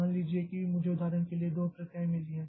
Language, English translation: Hindi, Suppose I have got two processes for example